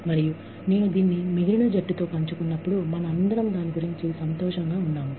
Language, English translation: Telugu, And, when I share this, with the rest of the team, we all feel happy about it